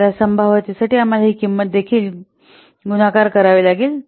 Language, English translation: Marathi, So, we have to multiply this cost along with this probability